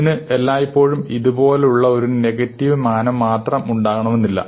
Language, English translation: Malayalam, Now, it may not always have a negative connotation like this